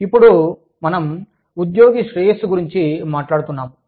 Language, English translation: Telugu, Now, we move on to, employee well being